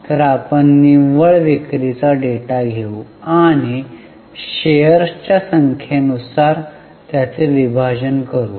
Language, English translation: Marathi, So we will take the data of net sales and let us divide it by number of shares